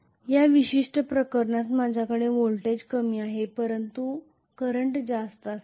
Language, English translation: Marathi, In this particular case I am going to have voltage is lower but current is going to be higher